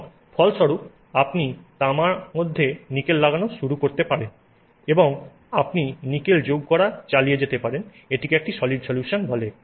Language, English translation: Bengali, And as a result you can start putting nickel into copper and you can keep on adding nickel, it is called a solid solution